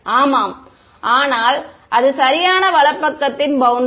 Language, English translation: Tamil, Yeah, but this is the right most boundary